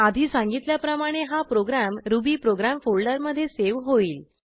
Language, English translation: Marathi, This program will be saved in rubyprogram folder as mentioned earlier